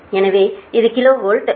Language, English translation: Tamil, so this is also kilo watt